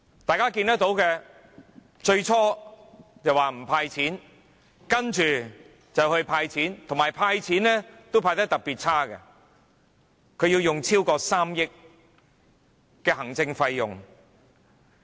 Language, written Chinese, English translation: Cantonese, 大家看到他最初說不"派錢"，接着"派錢"，但"派錢"也派得特別差，他要花超過3億元行政費用。, As we have observed at the beginning he said there would not be any cash handouts . Afterwards he proposed giving cash handouts but his way of implementing this measure is especially undesirable as he has to spend over 300 million of administrative cost